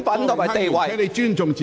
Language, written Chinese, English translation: Cantonese, 郭榮鏗議員，請你尊重自己。, Mr Dennis KWOK please respect yourself and sit down